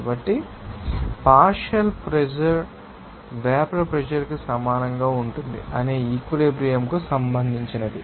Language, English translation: Telugu, So, this is regarding that saturation we know that that partial pressure will be equal to vapour pressure and after that